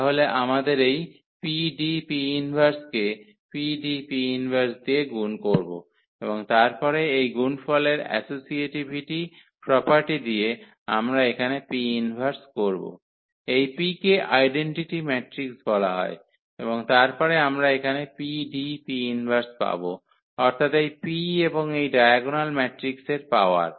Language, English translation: Bengali, So, we need to multiply this PDP inverse with the PDP inverse and then with this associativity property of this product we will realize here that this P inverse, P is there which we can put as the identity matrix and then we will get here P D and D P inverse meaning this P and the power of this diagonal matrix